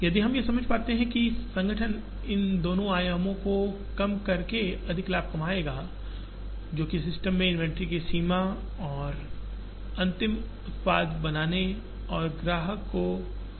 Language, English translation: Hindi, If we realize that, the organization would make more profit by reducing these two dimensions, which is the extent of inventory in the system and the time it takes to make the final product and get it to the customer